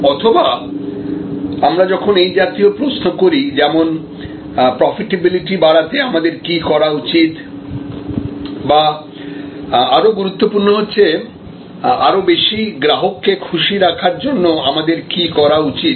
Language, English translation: Bengali, Or when we raise such questions like, what should we do to increase our profitability or more importantly what should we do to delight more customers